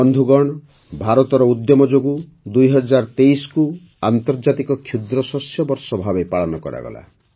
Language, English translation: Odia, Friends, through India's efforts, 2023 was celebrated as International Year of Millets